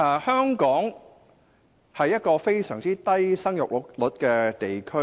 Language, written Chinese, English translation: Cantonese, 香港是一個生育率非常低的地區。, Hong Kong is a place with an exceedingly low fertility rate